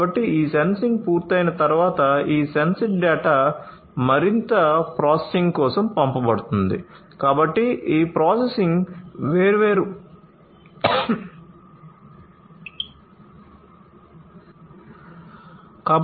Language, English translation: Telugu, So, this sensing once it is done, this sensed data is sent for further processing